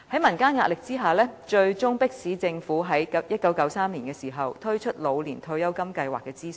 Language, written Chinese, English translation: Cantonese, 民間的壓力最終迫使政府在1993年就"老年退休金計劃"進行諮詢。, Owing to public pressure the Government eventually conducted a consultation on the Old Age Pension Scheme OPS in 1993